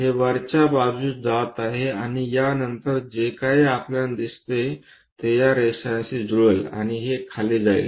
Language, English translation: Marathi, It goes all the way up it goes up and after that on top whatever that we see that will be coinciding with these lines and this goes down